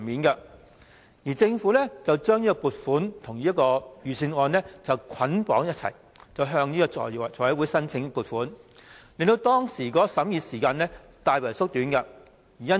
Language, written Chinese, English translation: Cantonese, 當時政府將這筆撥款與財政預算案捆綁處理，一併向財務委員會申請撥款，令當時的審議時間大為縮短。, At that time the Government bundled this funding application with the years financial budget budget for the approval of the Finance Committee . Hence the time for vetting the application was significantly shortened